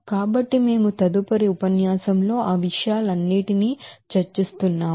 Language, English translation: Telugu, So we will be discussing all those things in the next lecture